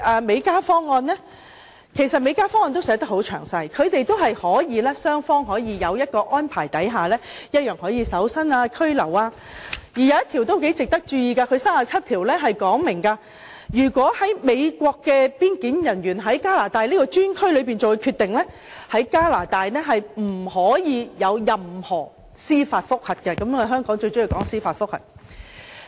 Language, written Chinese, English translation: Cantonese, 美加方案其實亦寫得很詳細，雙方在安排下同樣可以進行搜身或拘留，當中第37條很值得大家注意，該條訂明美國邊境人員在加拿大專區作出的決定，加拿大是不可以進行任何司法覆核的，香港便最喜歡進行司法覆核。, Section 37 of the Act is worth our attention . It provides that no decision made by border control officers of the United States in the Canadian preclearance area is subject to judicial review in Canada . You know judicial reviews are very popular in Hong Kong